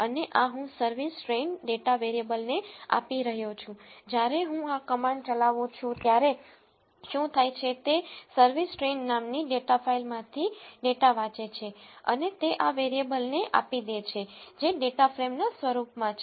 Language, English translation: Gujarati, And I am assigning this two a variable called service train when you execute this command what happens is, it reads a data from the service train data file and assign it to this variable which is of the form data frame